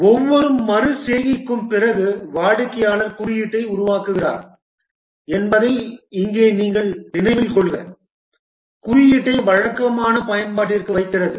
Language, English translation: Tamil, And remember here that after each iteration the customer makes the code, puts the code into regular use